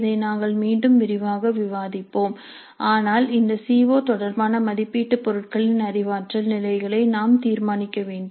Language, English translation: Tamil, This we will discuss again in detail but we have to decide on the cognitive levels of the assessment items related to this CO